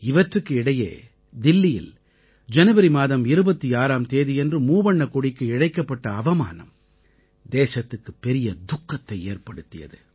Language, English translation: Tamil, Amidst all this, the country was saddened by the insult to the Tricolor on the 26th of January in Delhi